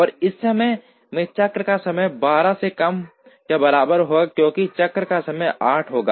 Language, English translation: Hindi, And the cycle time would still be less than or equal to 12, in this case because the cycle time will be 8